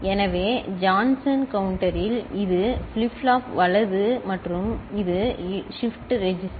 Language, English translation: Tamil, So, in Johnson counter this is the flip flop right and this is the shift register